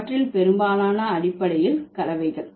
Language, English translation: Tamil, Most of them are basically the blends